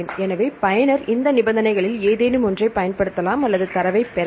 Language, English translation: Tamil, So, user can use any of these conditions with and or to obtain the data